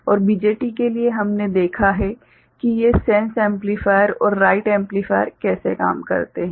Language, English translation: Hindi, And for BJT we have seen how these sense amplifiers and write amplifiers work